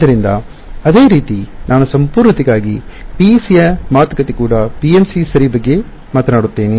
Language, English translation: Kannada, So, similarly I just for sake of completeness where talk of PEC I also talk about PMC ok